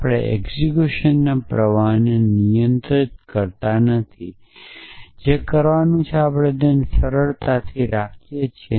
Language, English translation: Gujarati, We do not control the flow of execution we simply stay it what is to be done